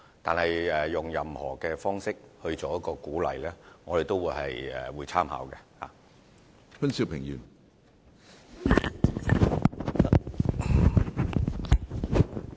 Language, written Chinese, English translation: Cantonese, 但是，對於採用何種方式給予鼓勵，我們也是樂意參考的。, However as regards what approaches should be adopted to provide encouragement we will be happy to draw reference from all of them